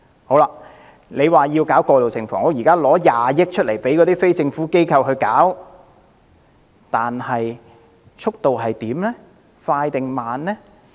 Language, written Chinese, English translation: Cantonese, 政府提出興建過渡性房屋，撥款20億元交由非政府機構負責，但興建速度究竟是快還是慢？, The Government proposed to construct transitional housing . It allocated 2 billion to non - governmental organizations and made them responsible for it . Is the speed of construction fast or slow?